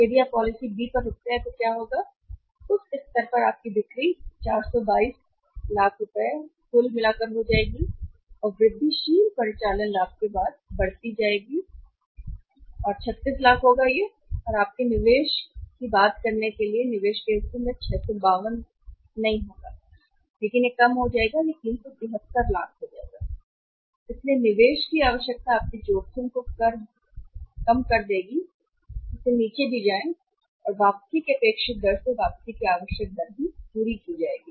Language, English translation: Hindi, So maximum we should stop at the policy B If you stop at the policy B so what will happen in at that level your sales will be to increasing by 422 lakhs total and incremental operating profit after tax will be 36 lakhs and in the investment part to talk about your investment will also be not 652 but it will be lesser that is 373 373 lakh, so investment will need will also go down your risk will also go down and required rate of return will also be met from the expected rate of return